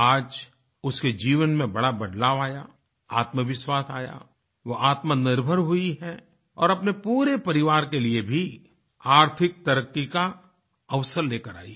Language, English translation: Hindi, At present, her life has undergone a major change, she has become confident she has become selfreliant and has also brought an opportunity for prosperity for her entire family